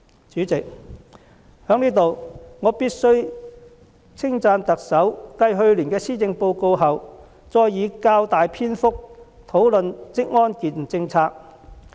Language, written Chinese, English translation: Cantonese, 主席，我在此必須稱讚特首繼去年的施政報告後，再以較大篇幅討論職安健政策。, President I have to commend the Chief Executive for raising occupational safety and health policy for discussion again in some rather long paragraphs following the Policy Address last year in which she did the same